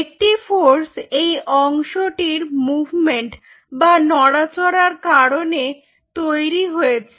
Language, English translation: Bengali, one is the force generated due to the movement of this part